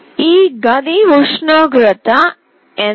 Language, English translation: Telugu, What was the current temperature of this room